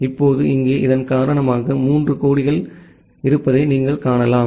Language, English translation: Tamil, Now, here because of this you can see there are 3 flags